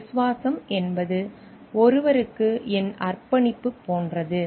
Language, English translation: Tamil, So, loyalty is like my commitment towards someone